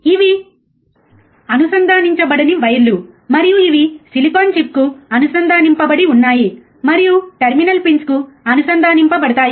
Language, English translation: Telugu, these are connecting wires that are connected heat to the silicon chip, which is connected to the terminal pins